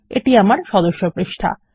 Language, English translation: Bengali, Theres my member page